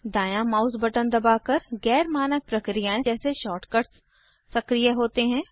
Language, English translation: Hindi, Pressing the right mouse button, activates more non standard actions like shortcuts